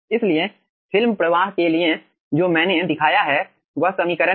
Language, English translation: Hindi, so for film flow that i have showed, this is a equation